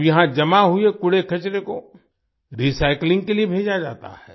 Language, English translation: Hindi, Now the garbage collected here is sent for recycling